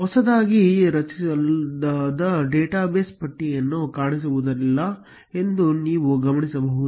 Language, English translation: Kannada, You will notice that the freshly created database does not appear in the list